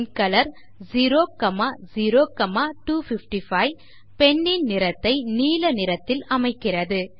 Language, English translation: Tamil, pencolor 0,0,255 sets the color of pen to blue